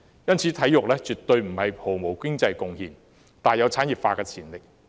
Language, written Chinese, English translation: Cantonese, 因此，體育絕對不是毫無經濟貢獻的，而是大有產業化的潛力。, Hence it is absolutely not true that sports have no economic contribution . Rather they have great potential for industrialization